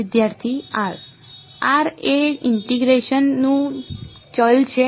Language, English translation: Gujarati, r is the variable of integration